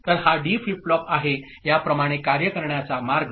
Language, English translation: Marathi, So, this is the D flip flop that is the way to work